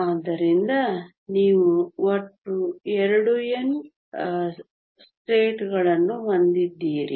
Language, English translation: Kannada, So, you have a total of 2N states